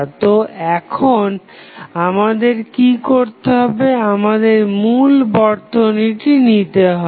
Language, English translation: Bengali, So, what we have to do now, you have to take the original circuit